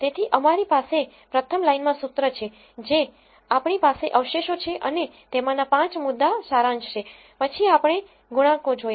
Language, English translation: Gujarati, So, we have the formula in the first line we have the residuals and the 5 point summary of them ,then we look in at the coefficients